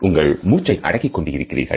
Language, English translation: Tamil, You are holding your breath